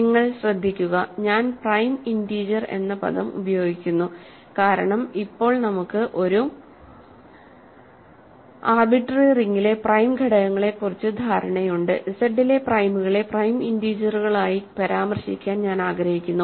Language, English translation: Malayalam, If you notice, I am using the word prime integer because now that we have notion of prime elements in an arbitrary ring, I want refer to primes in Z as prime integers